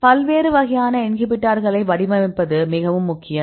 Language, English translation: Tamil, So, it is very important to design different types of inhibitors